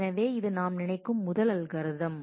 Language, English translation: Tamil, So, this was the first algorithm that we can think of